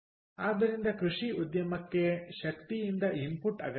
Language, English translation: Kannada, so agriculture industry does need input from energy